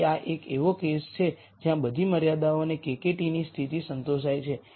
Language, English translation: Gujarati, So, this is a case where all constraints and KKT conditions are satis ed